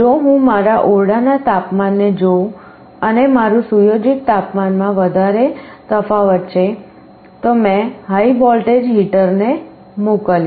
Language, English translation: Gujarati, If I see my room temperature and my set temperature is quite different, I sent a high voltage to the heater